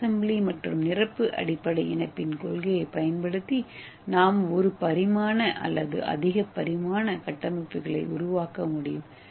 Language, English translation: Tamil, So using this self assembly and the complementary base pairing, We can make one dimension and we can also achieve this kind of higher dimension structures